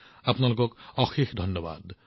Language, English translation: Assamese, Thank you very much, Namaskar